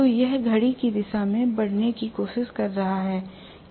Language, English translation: Hindi, So it may try to move in the anti, the clockwise direction